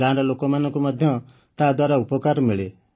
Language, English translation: Odia, And the people of the village also benefit from it